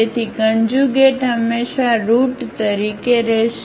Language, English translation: Gujarati, So, the conjugate will be always there as the root